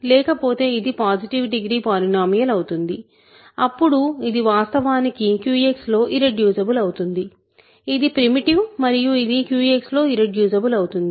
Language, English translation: Telugu, Otherwise it is a positive degree polynomial, then it is actually irreducible in Q X; it is primitive and it is irreducible in Q X